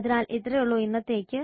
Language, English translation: Malayalam, So that is all for today